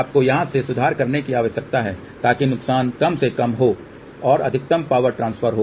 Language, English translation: Hindi, You need to correction from here to here so that the losses are minimal and maximum power transfer takes place